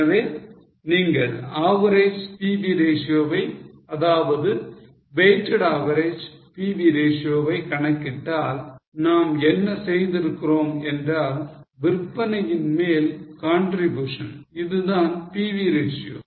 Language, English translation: Tamil, So, if you calculate the average PV ratio, weighted average PV ratio, what we have done is contribution upon sales is a PV ratio